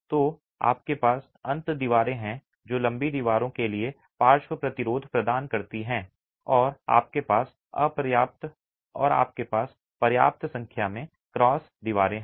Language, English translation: Hindi, So, you have the end walls which provide lateral resistance to the long walls and you have enough number of cross walls